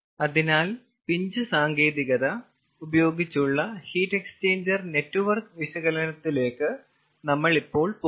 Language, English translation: Malayalam, so, ah, we will go now to heat exchanger network analysis by pinch technique